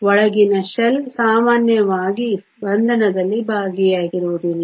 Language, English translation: Kannada, The inner shell is usually not involved in bonding